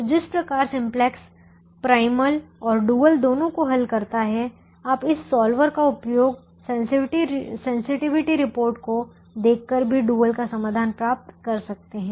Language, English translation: Hindi, so just as the simplex solves both the primal and the dual, you can use this solver to get the solution to the dual also by looking at the sensitivity report